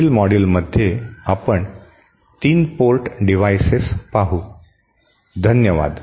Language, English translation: Marathi, In the next module we shall cover 3 port devices, thank you